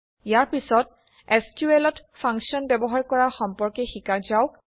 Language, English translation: Assamese, Next, let us learn about using Functions in SQL